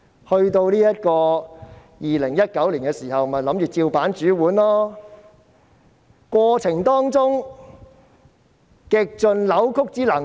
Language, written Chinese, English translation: Cantonese, 他們在2019年仍然想依樣葫蘆，在過程中極盡扭曲之能事。, In 2019 they wanted to act in the same fashion and had distorted all the rules during the process